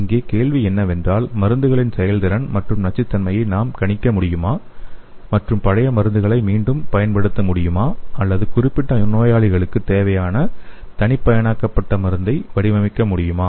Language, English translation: Tamil, Here the question is can we predict the drug efficacy and toxicity and can we reuse the old drugs or can we design the personalized medicine for the particular patients need